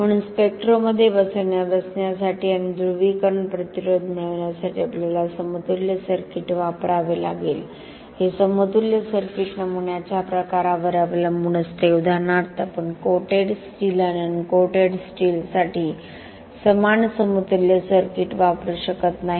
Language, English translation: Marathi, So, we have to use a equivalent circuit to fit the spectra and get the polarisation resistance this equivalent circuit depends on the type of specimen for example we cannot use the same equivalent circuit for coated steel and uncoated steel